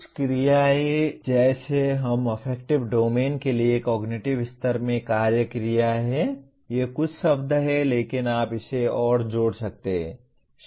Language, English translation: Hindi, Some of the action verbs like we have action verbs in cognitive level for affective domain, these are a few words but you can add many more